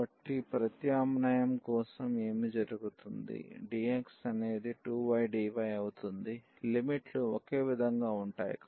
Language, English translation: Telugu, So, what will happen for the substitution the dx will become the 2y dy the limits will remain the same